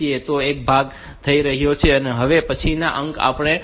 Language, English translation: Gujarati, So, the one part is done now the next digit that we have